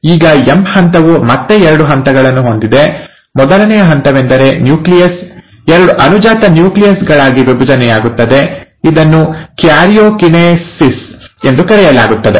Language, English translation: Kannada, Now the M phase again has two steps; the first step is where the nucleus divides into two daughter nuclei, that is called as karyokinesis